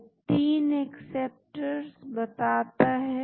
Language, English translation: Hindi, It says 3 acceptors